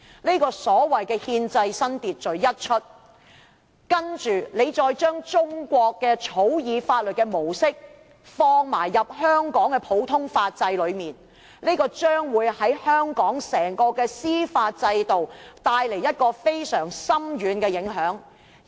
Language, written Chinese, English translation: Cantonese, 這個所謂"憲制新秩序"先例一開，再將中國草擬法律的模式放入香港的普通法制內，將會對香港整個司法制度，帶來非常深遠的影響。, Once this precedent of the new constitutional order is set and coupled with the implantation of Chinas mode of law - drafting into Hong Kongs common law system it will bring very profound effects to the entire judicial system of Hong Kong